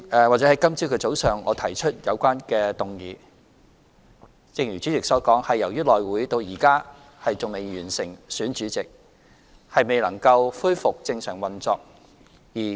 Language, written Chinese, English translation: Cantonese, 今日早上，我提出有關議案，正如主席所言，是由於內務委員會至今仍未完成選舉主席，未能夠恢復正常運作。, As stated by the President I proposed the motion this morning because the House Committee has yet to elect its Chairman and resume normal operation